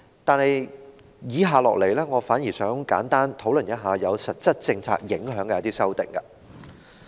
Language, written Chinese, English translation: Cantonese, 但是，我接下來想簡單討論有實質政策影響的修訂。, That said next I will briefly talk about amendments that will have actual policy implications